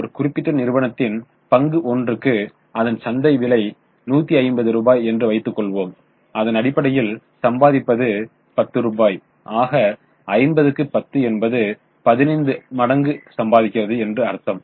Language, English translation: Tamil, Suppose earning per share of a particular company is 10 rupees and it has a market price of 150 rupees so 150 upon 10 it means 15 times its earning is the market price now what does it tell you is it good to have high or P